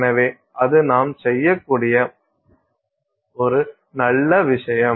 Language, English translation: Tamil, So, that's a nice thing that we can do